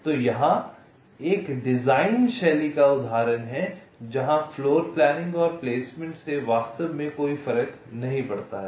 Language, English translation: Hindi, ok, so here there is one design style example where floorplanning and placement does not make any difference, actually, right